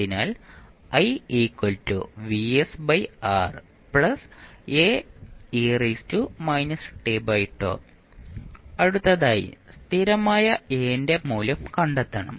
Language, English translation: Malayalam, Now, next we have to find the value of constant a